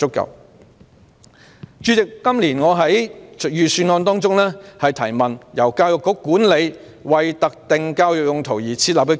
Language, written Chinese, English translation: Cantonese, 代理主席，今年我就預算案提問時，提到由教育局管理的為特定教育用途而設立的基金。, Deputy President when I raised questions on the Budget this year I mentioned the funds set up for specific educational purposes managed by the Education Bureau